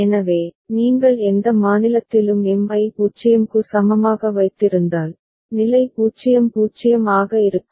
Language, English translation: Tamil, So, if you keep M is equal to 0 right at any given state, so state is 0 0